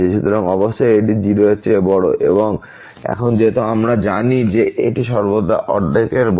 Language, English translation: Bengali, So, certainly this is greater than 0 and also now because we know that this is always greater than half